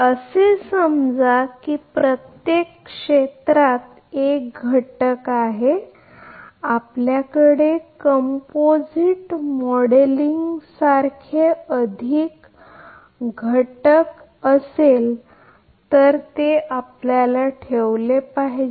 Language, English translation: Marathi, Assuming that in each area there is one one unit if you have more unit like composite modeling then you have to put